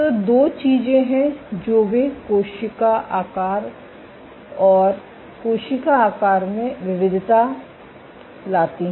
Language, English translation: Hindi, So, there are two things that they varied the cell shape and cell size